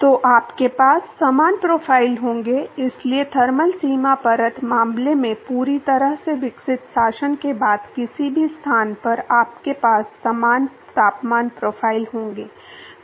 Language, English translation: Hindi, So, what you will have is similar profiles, so in any location after the fully developed regime in the thermal boundary layer case, is that you will have similar temperature profiles